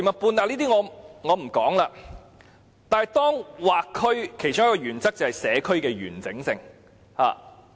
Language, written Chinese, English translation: Cantonese, 不過，劃區的其中一個原則就是保留社區的完整性。, Having said that one of the principles of boundary demarcation is to preserve the integrity of a community